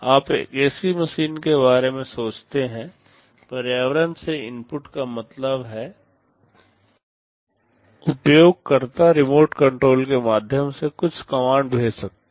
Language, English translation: Hindi, You think of an ac machine; the inputs from the environment means, well the user can send some commands via the remote control